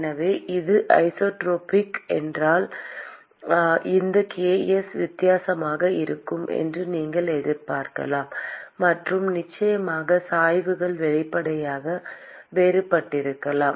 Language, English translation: Tamil, So, if it is not isotropic, then you would expect that these ks will be different; and of course the gradients can obviously be different